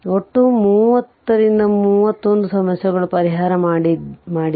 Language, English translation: Kannada, So, total 31 or 30 31 problems we have made it